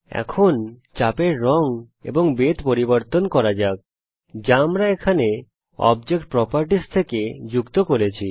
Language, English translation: Bengali, Now lets change the color and thickness of the arc that we have joined from object properties here